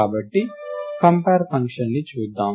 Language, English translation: Telugu, So, let us look at the compare function